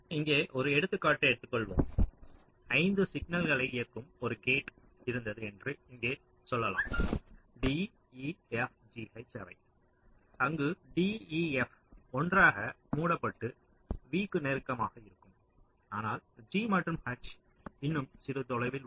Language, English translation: Tamil, lets say, here there was a gate which was driving five signals: d, f, g, h where, lets say, d, e, f are closed together, close to v, but g and n is little further away